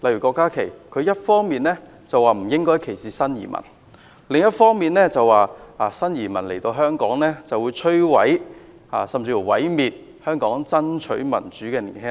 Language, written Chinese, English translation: Cantonese, 郭家麒議員一方面說不應該歧視新移民，另一方面卻表示新移民來到香港，便會毀滅香港爭取民主的年輕一代。, On the one hand Dr KWOK Ka - ki says that people should not discriminate against new immigrants; but on the other he says that new immigrants will destroy the younger generation in Hong Kong who fights for democracy